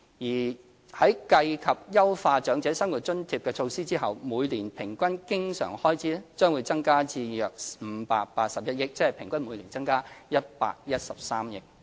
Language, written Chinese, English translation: Cantonese, 而在計及優化長者生活津貼的措施後，每年平均經常開支將增加至約581億元，即平均每年增加約113億元。, After taking into account the OALA enhancement measures the annual average recurrent expense will rise to around 58.1 billion representing an average increase of around 11.3 billion each year